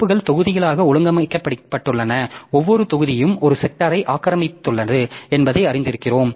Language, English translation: Tamil, So, file as we know that files are organized into their blocks and each block is occupying one sector